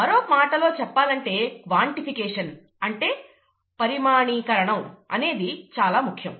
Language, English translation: Telugu, In other words, quantification is important; quantification is important in biology also